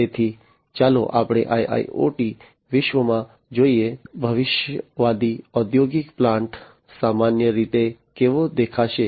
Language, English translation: Gujarati, So, let us look at in the IIoT world, how a futuristic industrial plant typically is going to look like